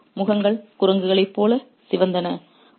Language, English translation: Tamil, Their faces red like monkeys